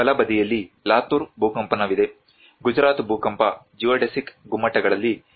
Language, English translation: Kannada, There is Latur earthquake on the right hand side recovery and the Gujarat earthquake geodesic domes